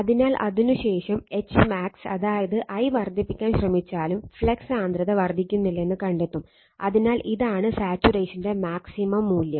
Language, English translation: Malayalam, So, after that even if you increase your you try to increase H max that is I, you will find that flux density is not increasing, so this is the maximum value after saturation right